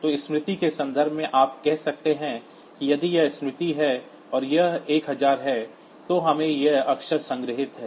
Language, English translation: Hindi, So, in terms of memory you can say that is if this is the memory and suppose from memory location 1000, we have got these characters stored